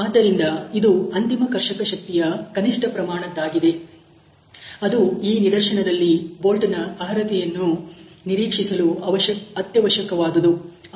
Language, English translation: Kannada, So, this is minimum amount of ultimate shear strength which is needed this particular case for quailing bolt to be expectable